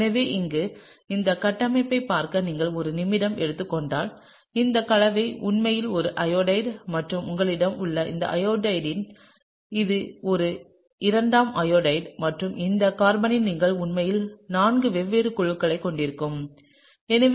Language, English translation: Tamil, So, here is, if you just take a minute to look at this structure and this compound is actually an iodide and in this iodide you have, it’s a secondary iodide and you have actually four different groups on that carbon, okay